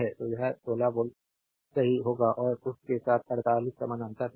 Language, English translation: Hindi, So, it will be 16 volt right and with that 48 is in parallel right